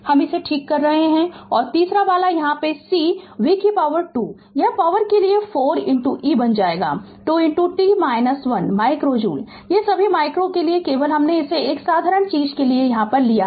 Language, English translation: Hindi, I am correcting it so and third case half C v square it will become 4 into e to the power minus 2 sorry minus 2 into t minus 1 micro joule these are all micro just you do it please do it I have done it for a simple thing right